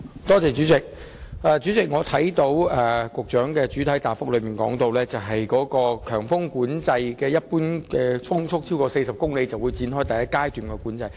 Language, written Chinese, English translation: Cantonese, 主席，局長在主體答覆中提到，當每小時平均風速超過40公里，便會展開第一階段的強風交通管制。, President the Secretary stated in the main reply that Stage I of high wind traffic management would be implemented whenever the mean wind speed was in excess of 40 kph